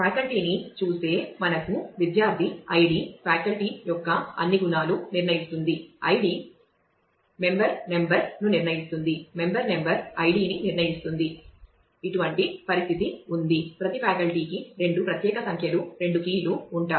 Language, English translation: Telugu, Moving on look at the faculty we have a very similar situation as of the student id determines all attributes of the faculty member number is also determine from id member number in turn determines id every faculty has two unique numbers two keys